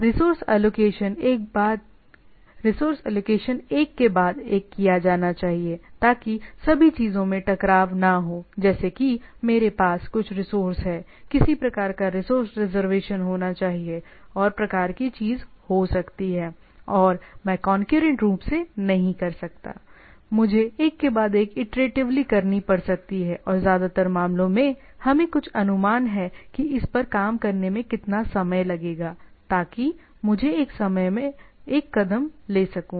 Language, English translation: Hindi, The resource allocation should be done one after another, so that all cannot bumped into the things like I have a some resource, some say some sort of a resource to be reserved and type of thing and I cannot do concurrently maybe, I may have to do iteratively one by after one after another and in most of the cases we have some estimate that how much time it will take in working on it so, that I can have one step another